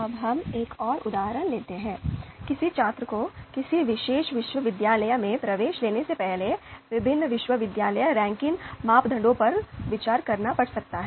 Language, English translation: Hindi, Now, let’s take another example, third one: A student may need to consider various university ranking parameters before taking admission into a particular university